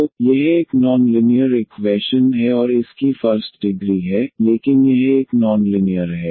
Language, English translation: Hindi, So, this is a non linear equation and its a first degree, but it is a non linear